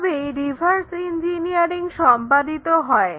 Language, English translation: Bengali, In that sense a reverse engineering goes in this way